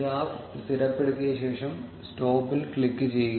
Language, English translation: Malayalam, When the graph seems stabilized, click on stop